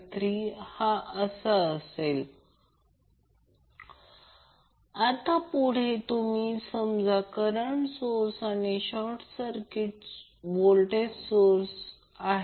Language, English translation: Marathi, Now next is you consider the current source and short circuit the voltage source